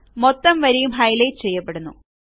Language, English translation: Malayalam, The entire row gets highlighted